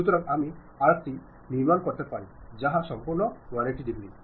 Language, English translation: Bengali, So, I can construct that arc in that complete 180 degrees